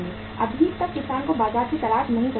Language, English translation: Hindi, So farmer has not to look for the market